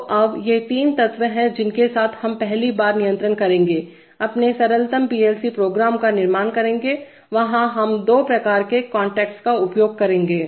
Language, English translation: Hindi, So now, so these are the three elements with which we first will control, construct our simplest PLC programs, there are, we will use two types of contacts